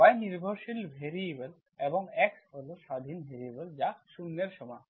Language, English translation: Bengali, y the dependent variable and x is the independent variable which is equal to 0